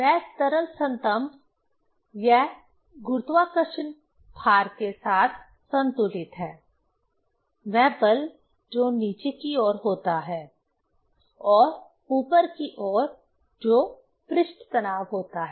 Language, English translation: Hindi, That liquid column, it balanced with that gravitational weight, force which is downwards and the upward that is the surface tension